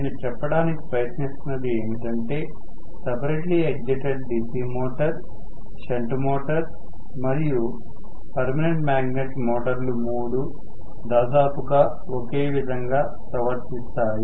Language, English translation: Telugu, What I am trying to say is separately excited DC motor, shunt motor as well as permanent magnet DC motor all 3 of them behave very very similarly